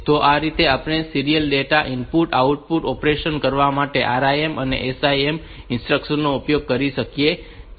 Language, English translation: Gujarati, So, we can use this RIM and SIM instruction for doing this serial data input and output operation